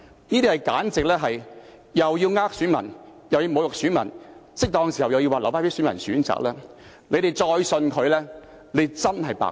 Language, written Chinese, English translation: Cantonese, 這簡直是又要欺騙選民，又要侮辱選民，在適當時候又說要留待選民選擇，你們再相信他便真的是白癡。, He is simply cheating and humiliating electors . When the time is ripe he will again say that he will leave the decision to electors . The public are really idiots should they trust him again